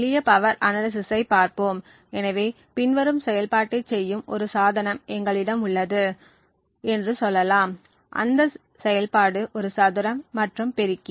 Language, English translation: Tamil, So, let us look at simple power analysis, so let us say we have a device which is performing the following operation, the operation is called a square and multiply